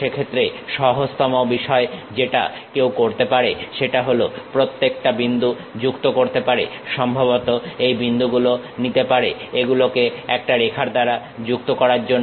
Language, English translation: Bengali, In that case the easiest thing what one can do is join each and every point, perhaps pick these points join it by a line